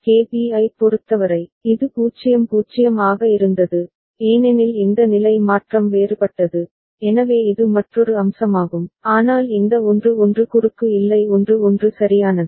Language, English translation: Tamil, For KB, it was 0 0, because this state change was different, so that is another aspect of it, but this 1 1 was not cross was 1 1 right